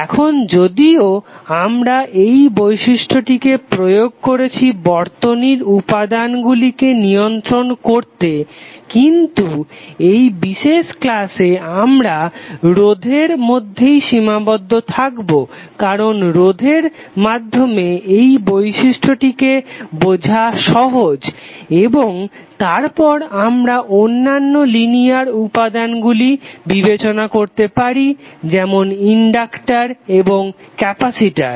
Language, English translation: Bengali, Now although the property applies to manage circuit elements but in this particular lecture we will limit our applicable to registers only, because it is easier for us to understand the property in terms of resistors and then we can escalate for other linear elements like conductors and capacitors